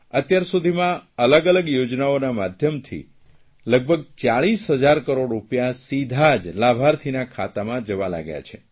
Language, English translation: Gujarati, Till now around 40,000 crore rupees are directly reaching the beneficiaries through various schemes